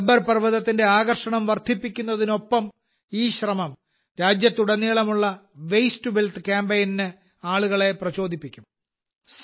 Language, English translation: Malayalam, This endeavour, along with enhancing the attraction value of Gabbar Parvat, will also inspire people for the 'Waste to Wealth' campaign across the country